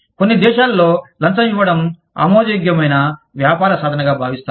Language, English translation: Telugu, Some countries, consider bribery, to be an acceptable business practice